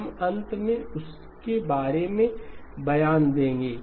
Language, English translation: Hindi, We will make an statement about that towards the end